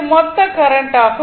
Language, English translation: Tamil, This is the current